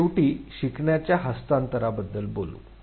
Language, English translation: Marathi, Now, at the end, let us talk about transfer of learning